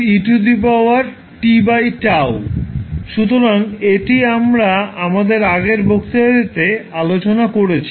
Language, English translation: Bengali, So, this is what we discussed in our yesterday in our lecture